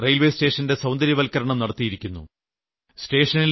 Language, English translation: Malayalam, They showed me the pictures of how they had beautified the Aligarh railway station